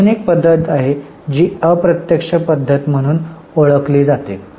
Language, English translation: Marathi, There is another method which is known as indirect method